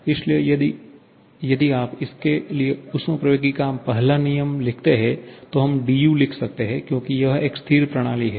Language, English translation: Hindi, So, now if you write the first law of thermodynamics for this, we can write dU because it is a stationary system